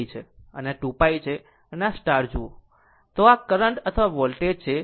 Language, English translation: Gujarati, So, if you look into that, that that this current or voltage